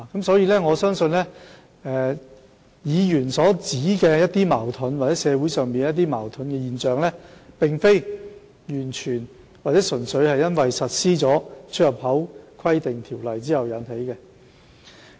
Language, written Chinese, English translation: Cantonese, 所以，我相信議員所指的社會矛盾現象，並非純粹因實施《規例》而引起。, Hence I believe the implementation of the Regulation is not the sole cause of social conflicts as pointed out by the Member